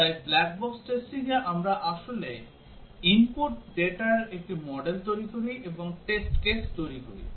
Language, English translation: Bengali, So in black box testing, we actually create a model of the input data, and generate test cases